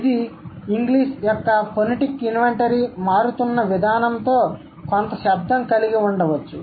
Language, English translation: Telugu, That could have been some connection with the way the phonetic inventory of English is changing, right